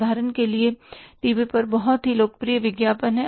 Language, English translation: Hindi, For example, they are very popular ads on the TV